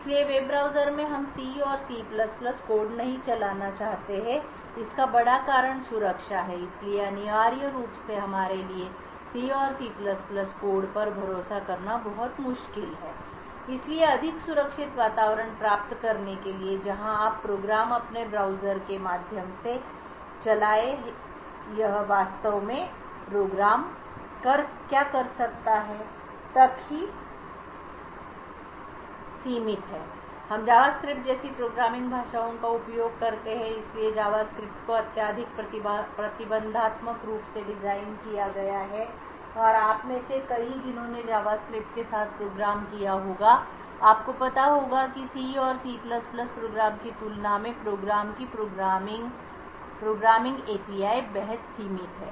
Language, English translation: Hindi, So the big reason why we do not want to run C and C++ code in a web browser is security, so essentially it is very difficult for us to trust C and C++ code therefore in order to achieve a more secure environment where the programs that you run through your browser is limited to what it can actually do we use programming languages like JavaScript, so JavaScript is designed to be highly restrictive and as many of you who would have programmed with JavaScript you would be aware that the compared to a C and C++ type of program the program the programming API is our highly limited and therefore you would not be able to do a lot of system a level tasks and as a result your client system which is running your web browser is essentially protected